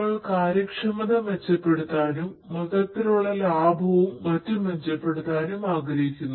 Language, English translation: Malayalam, We want to improve the efficiency; we want to improve the overall cost effectiveness operations and so on and so forth